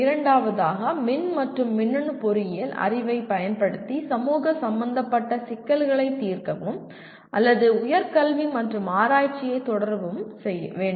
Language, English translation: Tamil, Second one, solve problems of social relevance applying the knowledge of electrical and electronics engineering and or pursue higher education and research